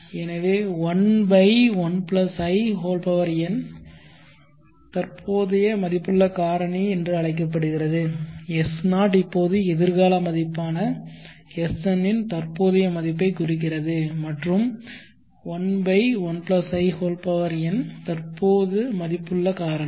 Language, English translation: Tamil, So 1/1+In is called the present worth factor S0 is now representing the present worth of the future value SM and 1/1+In is present worth factor